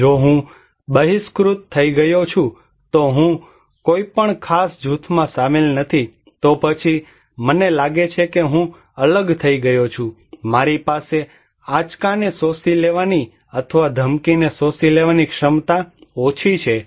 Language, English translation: Gujarati, If I am outcasted, I am not included in any particular group then I feel that I am isolated; I have less capacity to absorb the shocks or absorb the threat